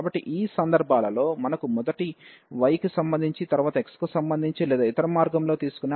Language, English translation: Telugu, So, in this cases we have either the possibility of taking first with respect to y, then with respect to x or the other way round